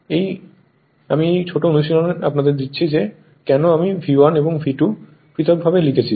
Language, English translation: Bengali, This is I am giving you a small exercise that why I am writing V 1 difference or V 2 the difference operator